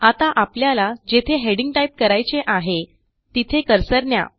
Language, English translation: Marathi, Now let us bring the cursor to where we need to type the heading